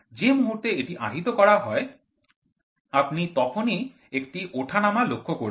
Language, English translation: Bengali, Moment it is loaded, you can see there be a fluctuation